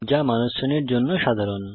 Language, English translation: Bengali, Which are common to the human being class